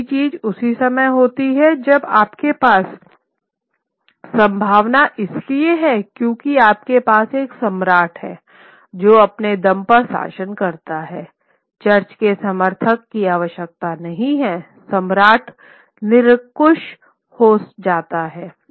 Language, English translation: Hindi, The other thing that happens is while at the same point of time you now have the possibility that because you have a monarch who rules on his own does not require the support of the church, the monarch becomes absolutist